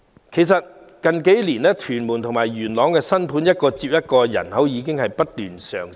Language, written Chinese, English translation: Cantonese, 其實過去數年，屯門和元朗的新盤一個接一個推出，區內人口已經上升。, In fact new flats in Tuen Mun and Yuen Long have been put on sale one after another over the past few years leading to population growth in both districts